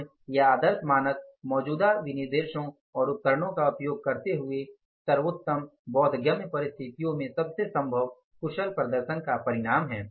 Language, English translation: Hindi, Perfection or ideal standards are expressions of the most efficient performance possible under the best conceivable conditions using existing specifications and equipments